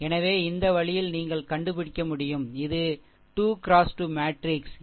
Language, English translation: Tamil, So, this way you can find out so, this is a 3 into 3 matrix